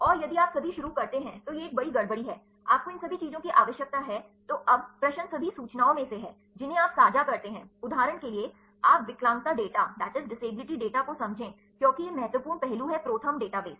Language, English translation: Hindi, And if you click start now, it is a big mess you need all these things right So, now, the question is among all the information, which share the you are interested in for example, you have a understand disability data because, that is the important aspect of this ProTherm database